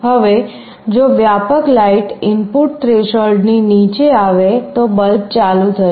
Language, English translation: Gujarati, Now, if the ambient light input falls below a threshold, the bulb will turn on